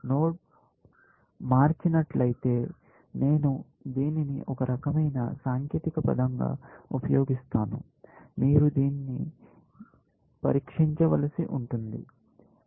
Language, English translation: Telugu, If a node has changed; I am using this as a kind of technical term, which you have to have a test for doing it